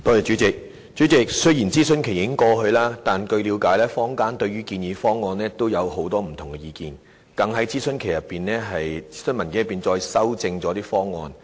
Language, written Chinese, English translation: Cantonese, 主席，雖然諮詢期已過，但據了解，坊間對建議方案也有很多不同的意見，更在諮詢期內提出建議，修正諮詢文件內的方案。, President although the consultation period has ended as far as I know the public have many views on the proposals and they even put forward proposals during the consultation period to revise the proposals set out in the consultation document